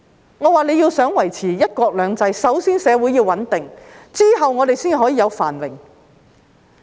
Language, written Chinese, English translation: Cantonese, 我說，如果大家想維持"一國兩制"，首先社會便要穩定，然後我們才可以有繁榮。, In my view if we want to maintain one country two systems the first order of business is to stabilize society and only then can we have prosperity